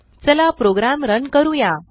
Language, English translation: Marathi, Lets run the program